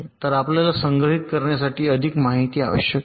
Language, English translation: Marathi, so you need more information to be stored